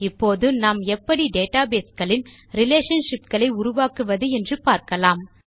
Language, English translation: Tamil, Let us now learn about defining relationships in the database